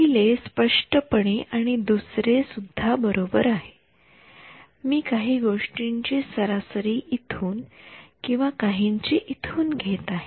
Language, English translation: Marathi, The first one; obviously and the second one also right I am taking the average of something from here and something from here